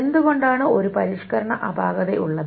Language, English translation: Malayalam, Why is there a modification anomaly